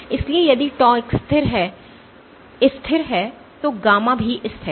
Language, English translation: Hindi, So, if tau is constant gamma is also constant